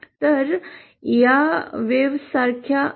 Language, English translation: Marathi, So these are like waves